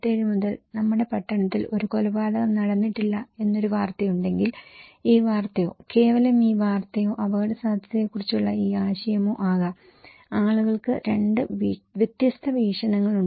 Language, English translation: Malayalam, Like, if there is a news that our town has not had a murder since 1957, there could be this news, simply this news or this idea of risk, people have two different perspective